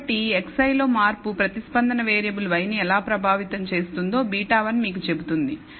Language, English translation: Telugu, So, beta one tells you how a change in x i affects the response variable y